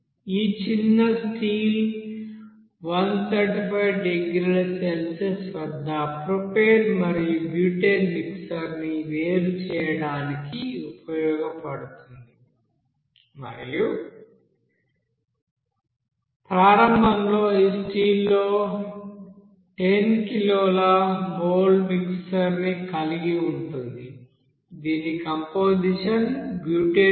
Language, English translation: Telugu, Let us consider this small steel is you know used to separate propane and butane mixture at 135 degree Celsius and initially contains 10 kg moles of mixture in that steel whose composition is you know that x is equal to 0